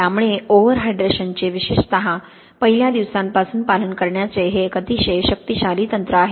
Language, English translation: Marathi, So this is a very powerful technique to follow the overhydration particularly for the first day or so